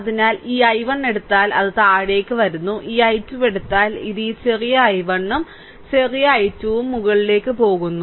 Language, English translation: Malayalam, So, this this I 1 this I 1 if you take, it is coming down and this i 2 if you take, it is going up this small i 1 and small i 2